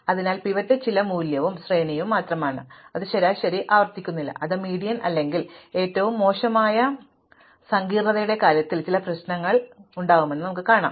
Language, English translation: Malayalam, So, the pivot is just some value in the array, it need not be the median and we will see that if that is not the median, then this results in some problem in terms of the worst case complexity, but let us just ignore it